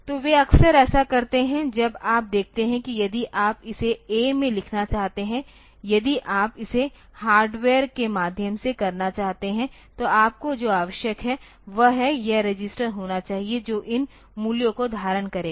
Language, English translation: Hindi, So, they often do like this now you see that if you want to write it in a if you want to do it by means of a hardware then what is required is you should have this register which will hold these a values